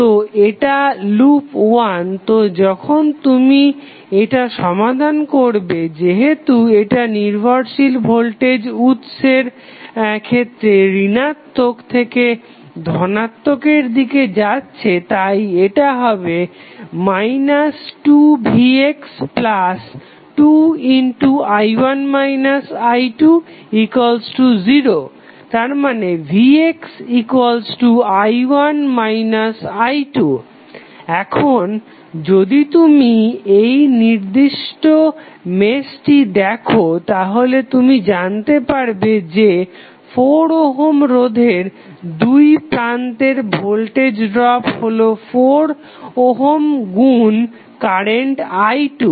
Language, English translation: Bengali, So this is loop 1 so when you solve since it is going from minus to plus across the dependent voltage source it will become minus 2v x plus 2 times i 1 minus i 2 because it is i 1 is going in this direction while i 2 is in this direction so this will become 2 times i 1 minus i 2 and finally equal to 0 when you simplify you will get v x is nothing but i 1 minus i 2